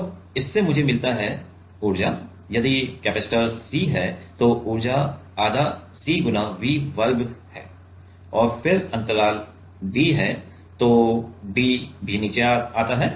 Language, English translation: Hindi, And that gives me that let us say the energy is a if the capacitor is CV square, then the energy is half CV square and then the gap d so the gap is d, d also comes down right